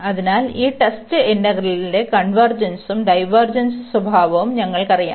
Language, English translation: Malayalam, So, we know the convergence and the divergence behavior of this test integral here